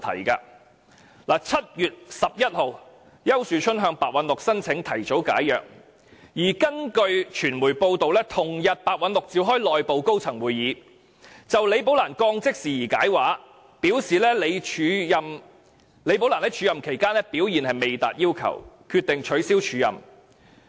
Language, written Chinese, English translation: Cantonese, 丘樹春在7月11日向白韞六申請提早解約，而根據傳媒報道，白韞六於同日召開內部高層會議，就李寶蘭被降職事件作出解釋，表示她在署任期間表現未達要求，決定取消署任安排。, Ricky YAU applied to Simon PEH for an early resolution of agreement on 11 July and according to media reports Simon PEH convened an internal senior staff meeting on the same day to give an explanation on his decision concerning the demotion of Rebecca LI . He explained at the meeting that as Ms LI failed to perform up to the required standard during the acting period he decided to cancel her acting appointment